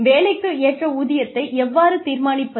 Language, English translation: Tamil, How do you determine, equitable pay for work